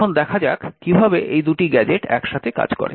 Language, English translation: Bengali, So, let us see how these two gadgets work together to achieve our task